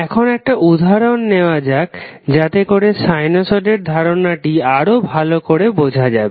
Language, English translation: Bengali, Now let's take a few examples so that you can better understand the concept of sinusoid